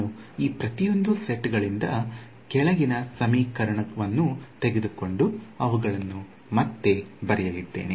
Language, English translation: Kannada, So, I am going to take the bottom equation from each of these sets and just rewrite them